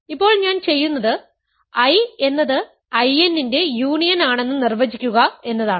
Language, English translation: Malayalam, So now, what I will do is define I to be the union of I n ok